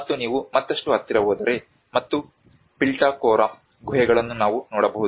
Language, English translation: Kannada, \ \ \ And if you go further closer and this is what we can see the Pitalkhora caves